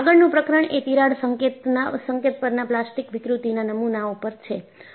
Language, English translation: Gujarati, The next chapter would be on Modeling of Plastic Deformation at the Crack tip